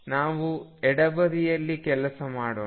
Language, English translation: Kannada, Let us work on the left hand side